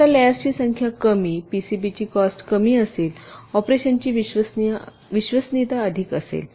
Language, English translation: Marathi, now, less the number of layers, less will be the cost of the p c b, more will be the reliability of operation